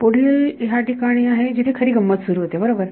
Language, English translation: Marathi, Next term, here is where the fun starts right